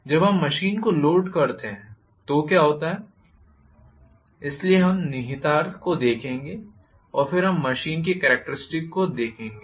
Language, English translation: Hindi, When we load the machine what happens, so we will look at the implications as and then we look at the characteristics of the machine